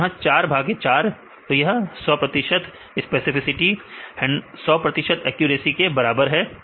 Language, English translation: Hindi, So, this is 4 by 4 this is equal to 4 by 4 this equal to 100 percent specificity is equal to100 percent accuracy